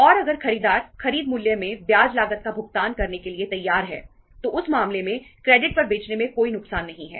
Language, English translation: Hindi, And if the buyer is ready to pay the interest cost in the purchase price in that case there is no harm in selling on credit